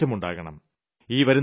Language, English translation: Malayalam, We have to change this situation